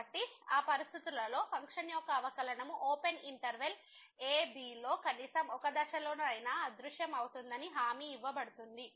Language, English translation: Telugu, So, under those conditions it is guaranteed that the function will derivative of the function will vanish at least at one point in the open interval (a, b)